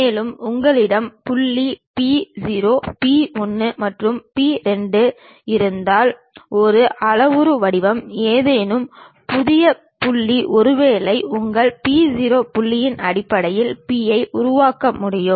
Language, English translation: Tamil, And, a parametric form if you have point P0, P 1 and P 2 any new point perhaps P one can construct in terms of your P0 point